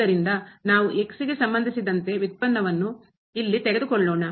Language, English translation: Kannada, So, we are taking here derivative with respect to